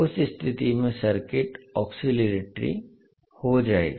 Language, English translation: Hindi, In that case the circuit will become oscillatory